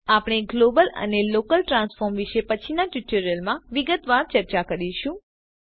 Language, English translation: Gujarati, We will discuss about global and local transform axis in detail in subsequent tutorials